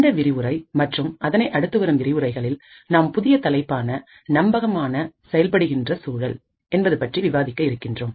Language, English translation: Tamil, In this lecture and other lectures that follow we will take a new topic know as Trusted Execution Environments